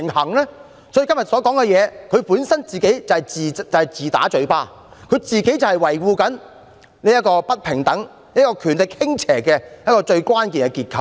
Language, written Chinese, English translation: Cantonese, 所以，政府今天所說的，根本是自打嘴巴，政府正是維護不平等、權力傾斜的最關鍵結構。, Thus the Government is really making self - contradictory remarks today . It is actually the key structure for condoning inequality and unbalanced power